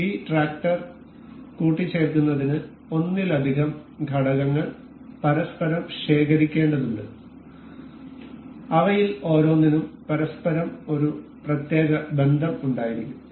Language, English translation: Malayalam, Assembling this tractor requires multiple components to be gathered each other each each of which shall have a particular relation with each other